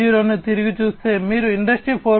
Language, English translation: Telugu, So, looking back Industry 4